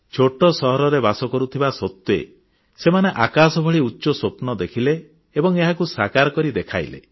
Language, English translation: Odia, Despite hailing from small cities and towns, they nurtured dreams as high as the sky, and they also made them come true